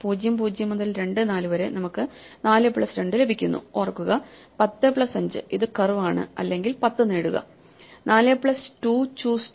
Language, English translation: Malayalam, So, from (0, 0) to (2, 4) we get 4 plus 2 remember it 10 plus 5 it was a curve or get, 10; 4 plus 2 choose 2